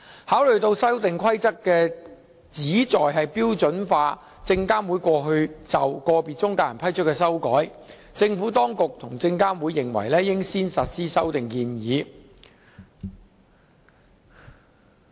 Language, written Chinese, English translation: Cantonese, 考慮到《修訂規則》旨在標準化證監會過去就個別中介人批出的修改，政府當局及證監會認為應先實施修訂建議。, As the Amendment Rules aim to standardize the modifications granted previously by SFC to individual intermediaries the Administration and SFC hold that the relevant amendment proposals should be realized first